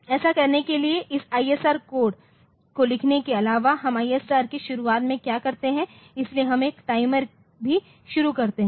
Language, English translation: Hindi, So, to do that so; what we do at the beginning of the ISR apart from writing this ISR code so, we also start a timer